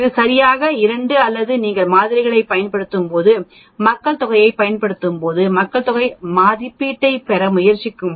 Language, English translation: Tamil, It is not exactly 2 sigma that is when you use population when you use samples and try to get an estimate of population obviously, it is 1